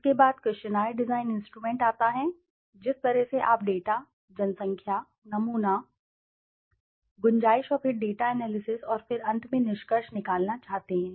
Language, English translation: Hindi, Then comes the questionnaire design instrument the way you want to collect the data, population, sample, scope and then the data analysis and then finally again the conclusion